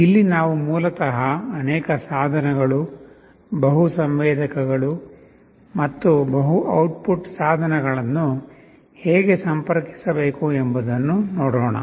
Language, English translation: Kannada, Here we shall basically be looking at how to interface multiple devices, multiple sensors and multiple output devices